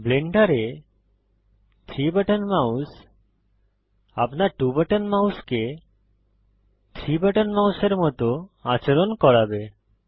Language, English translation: Bengali, Emulate 3 button mouse will make your 2 button mouse behave like a 3 button mouse in Blender